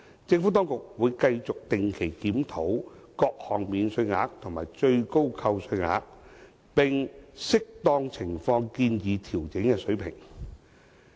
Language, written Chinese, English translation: Cantonese, 政府當局會繼續定期檢討各項免稅額和最高扣除額，並按適當情況建議調整的水平。, The Administration will continue to regularly review the various allowances and deduction ceilings and propose levels of adjustments as appropriate